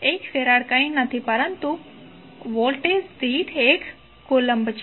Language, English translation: Gujarati, 1 farad is nothing but, 1 Coulomb per Volt